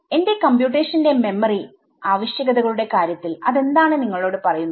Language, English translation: Malayalam, So, what does that tell you in terms of the memory requirements of my computation